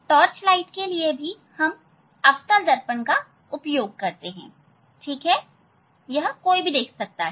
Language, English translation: Hindi, in torch light, we use the concave mirror, ok, so that is what here one can see